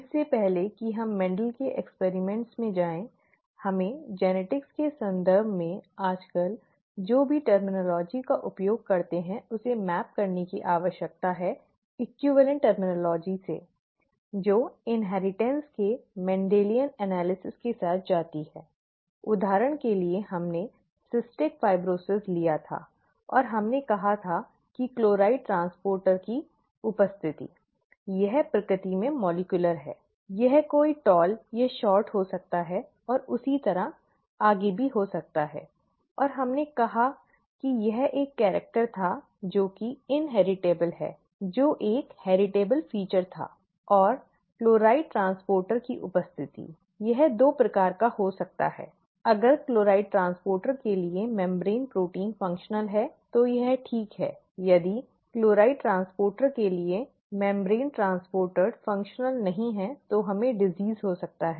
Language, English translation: Hindi, Before we went into Mendel’s experiments, we needed to map whatever terminology that we use nowadays in the context of genetics to the equivalent terminology that goes with a Mendelian analysis of inheritance; for example, we had taken cystic fibrosis and we said presence of a chloride transporter, this is rather molecular in nature, it could be somebody being tall and short and so on so forth, that could also be and we said that this was a character which is an which was a heritable feature, and the presence of the chloride transporter, it could be of two kinds, if the membrane protein for chloride transporter is functional then it is fine; if the membrane transporter for chloride function, chloride transporter is not functional, then we get the disease